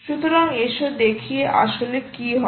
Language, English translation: Bengali, so lets see what actually happens there